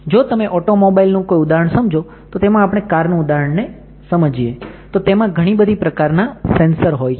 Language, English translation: Gujarati, If you just take an example of automobile then if you take an example of a car then there are several sensors in your car